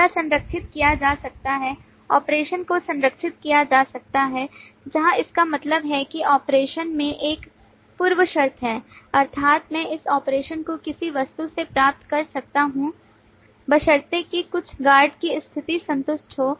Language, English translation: Hindi, operation could be guarded where in it means that the operation has a precondition, that is, I can invoke this operation from an object provided certain guard condition is satisfied